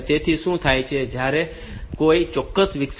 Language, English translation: Gujarati, So, what happens is that when a particular interrupt occurs say 5